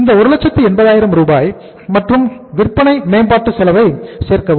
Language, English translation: Tamil, This is 1,80,000 and then add sales promotion expense